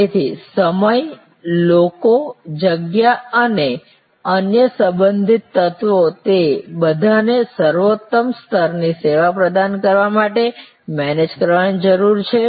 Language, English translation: Gujarati, So, time, people, space all three elements and other related elements, they all need to be managed to provide the optimum level of service